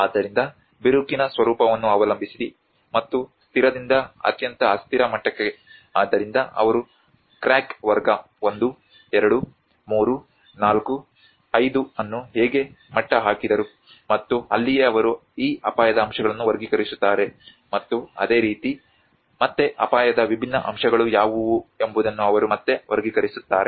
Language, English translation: Kannada, \ \ So, depending on the nature of the crack and from the stable to the most unstable level, so that is how they leveled crack category 1, 2, 3, 4, 5 and that is where they classified and categorize these risk aspects and similarly this is again, they again categorize with what are the different aspects of the risk